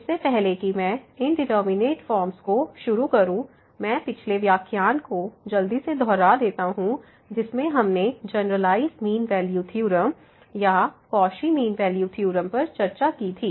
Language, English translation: Hindi, So, before I start to indeterminate forms let me just introduce your recall from the previous lecture, the generalized mean value theorem or the Cauchy mean value theorem which was discussed in previous lecture